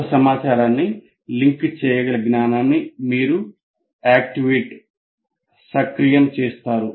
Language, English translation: Telugu, You activate that knowledge to which the new information can be linked